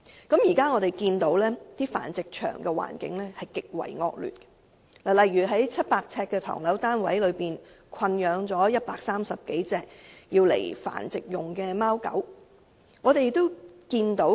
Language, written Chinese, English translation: Cantonese, 我們亦從很多報道得知，繁殖場的環境極為惡劣，例如在700平方呎的唐樓單位裏困養了130多隻作繁殖用途的貓狗。, Furthermore we learnt from news reports that the conditions of the animal breeding facilities are extremely poor . For example in a flat of 700 sq ft in a tenement building some 130 cats and dogs may be kept for breeding purpose